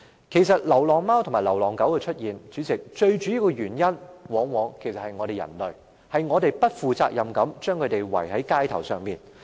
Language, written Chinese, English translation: Cantonese, 出現流浪貓狗的主要原因，往往是人類不負責任地將牠們遺棄街頭。, The existence of stray cats and dogs is often mainly attributable to humans irresponsible abandonment of them on the streets